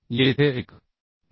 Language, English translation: Marathi, 2 as 1